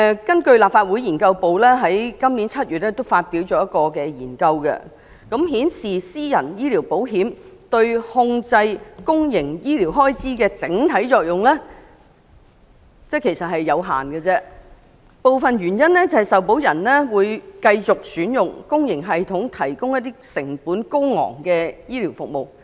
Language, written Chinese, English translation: Cantonese, 根據立法會資料研究組在今年7月發表的研究顯示，私人醫療保險對控制公營醫療開支的整體作用有限，部分原因是受保人會繼續選用公營醫療體系提供的成本高昂醫療服務。, According to the research findings released by the Research Office of the Legislative Council Secretariat in July this year private health insurance has an overall limited contribution to containment in the public cost partly because insured persons continue to utilize the public system for the most expensive services